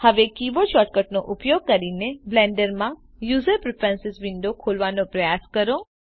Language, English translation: Gujarati, Now try to open the user preferences window in Blender using the keyboard shortcut